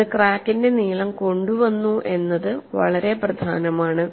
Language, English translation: Malayalam, It has brought in length of the crack is also very important